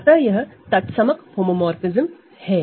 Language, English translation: Hindi, So, this is the identity homomorphism